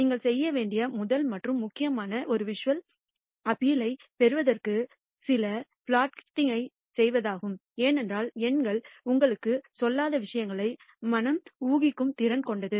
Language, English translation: Tamil, The first and foremost that you should do is to do some plotting to get a visual appeal because the mind is capable of inferring things what numbers do not tell you